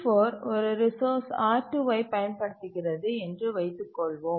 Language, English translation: Tamil, And in that case, if T4 is trying to use the resource R2, it will be prevented